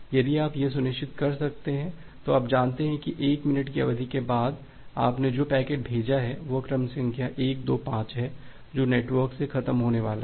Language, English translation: Hindi, If you can ensure that then you know that after 1 minute duration, the packet that you have send to it sequence number 125 that is going to die off from the network